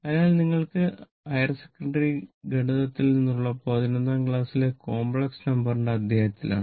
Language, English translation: Malayalam, So, hope this is from your this is from your higher secondary mathematics in complex numbers chapter right class 11